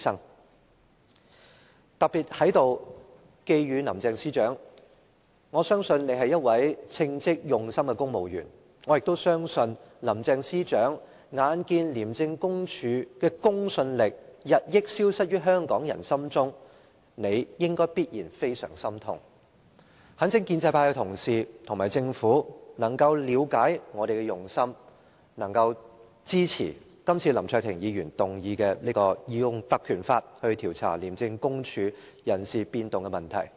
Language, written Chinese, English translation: Cantonese, 我特別在這裏寄語林鄭司長，我相信她是一位稱職用心的公務員，我也相信林鄭司長眼見廉署的公信力日益消失於香港人心中，理應感到非常心痛，我懇請建制派的同事和政府能夠了解我們的用心，支持今次林卓廷議員提出引用《條例》來調查廉署人事變動問題的議案。, I believe she is a competent and dedicated civil servant . I also believe that having seen the credibility of ICAC disappearing in the hearts of Hong Kong people she will be saddened . I earnestly urge pro - establishment Members and the Government to understand our intention and support the motion moved under the Ordinance by Mr LAM Cheuk - ting to inquire into the personnel reshuffle of ICAC